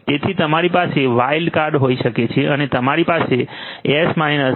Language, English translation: Gujarati, So, you can have a wild card and you could have something like S 10